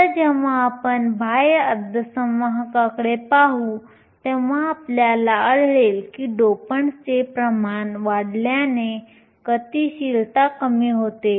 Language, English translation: Marathi, Later when we look at extrinsic semiconductors, we will find that increasing the concentration of the dopants, decreases the mobility